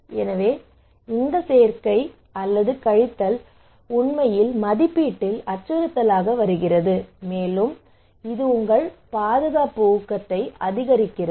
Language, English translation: Tamil, So this plus minus actually coming to threat appraisal and then it is increasing your protection motivation